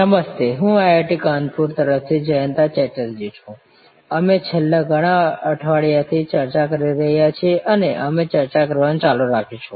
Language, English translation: Gujarati, Hello, I am Jayanta Chatterjee from IIT, Kanpur and we are interacting on Services Management contemporary issues